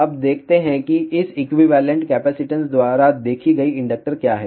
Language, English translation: Hindi, Now, let us see what is the equivalent capacitance seen by this particular inductor